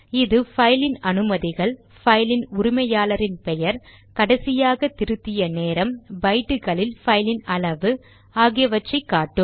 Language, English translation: Tamil, It gives us the file permissions, file owners name, last modification time,file size in bytes etc